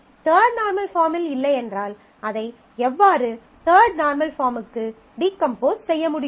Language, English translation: Tamil, So, that the schema is not in the three normal form, third normal form then how can we decompose it into the third normal form